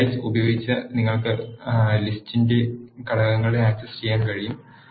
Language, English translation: Malayalam, You can also access the components of the list using indices